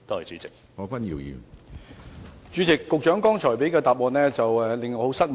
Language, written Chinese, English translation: Cantonese, 主席，我對局長剛才的答覆很感失望。, President I am rather disappointed with the Secretarys reply